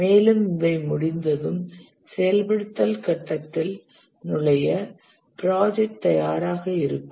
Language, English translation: Tamil, And then once these are complete, the project is ready for entering the execution phase